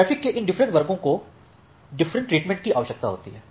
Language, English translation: Hindi, So, these different classes of traffic require different treatments